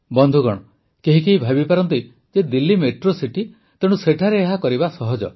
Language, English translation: Odia, Friends, one may think that it is Delhi, a metro city, it is easy to have all this here